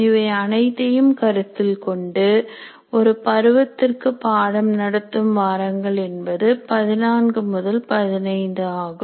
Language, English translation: Tamil, So keep taking all that into account, the number of teaching weeks in a semester comes around to 14 to 15